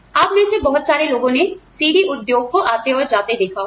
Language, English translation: Hindi, Many of you, may have seen, the CD industry, come and go